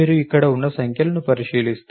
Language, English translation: Telugu, So, if you look at the numbers over here